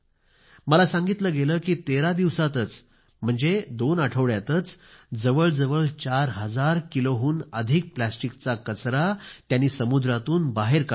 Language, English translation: Marathi, And I am told that just within 13 days ie 2 weeks, they have removed more than 4000kg of plastic waste from the sea